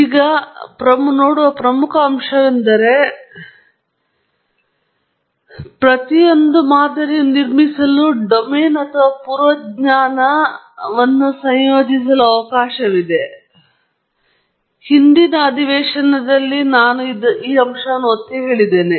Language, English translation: Kannada, Now, one very important thing that you would see is that we are able to incorporate prior knowledge; that is, there is a provision for incorporating domain or prior knowledge at each of this stage, and I have also emphasized this aspect in the previous lecture as well